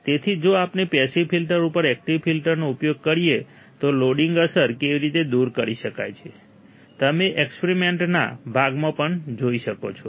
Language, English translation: Gujarati, So, how loading effect can be removed if we use active filter over passive filters, you will see in the experiment part as well